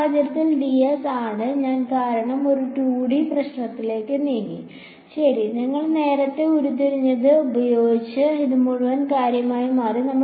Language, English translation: Malayalam, And in this case is ds, because I have moved down to a 2D problem ok, using what we have derived earlier this became del dot this whole thing